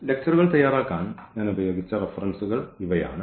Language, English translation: Malayalam, So, these are the references I used for preparing the lectures and